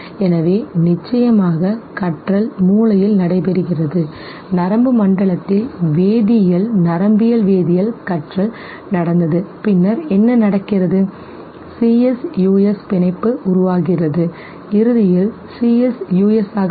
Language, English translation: Tamil, So of course learning takes place in the brain there would be some chemical, neuro chemical signature of learning, this has taken place in the nervous system and then what happens CS, US bond is formed and eventually the CS will substitute the US okay